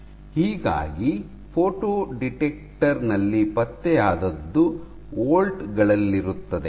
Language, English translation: Kannada, So, any what is detected in the photo detector is in volts ok